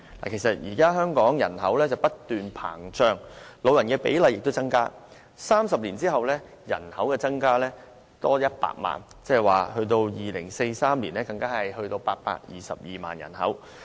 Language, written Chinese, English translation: Cantonese, 現時香港人口不斷膨脹，長者比例亦有所增加，預計30年後人口將增加100萬，即到2043年時，人口將達822萬。, In fact the current Government does not even know how to tackle the issues in front of it . Presently Hong Kongs population keeps expanding and the proportion of elderly population is increasing too . It is predicted that the population will increase by 1 million after 30 years reaching 8.22 million in 2043